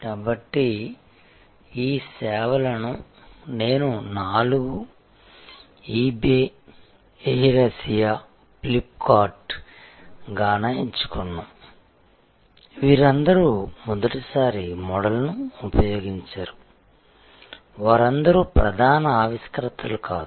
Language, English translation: Telugu, So, we have this services I have chosen four eBay, Air Asia, Flip kart, Gaana, not all of them are using a first time model, not all of them are the lead innovators